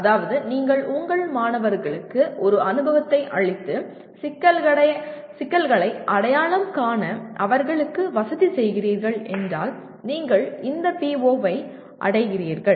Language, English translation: Tamil, That means if you are giving an experience to your students and facilitating them to identify problems, then only you are meeting this PO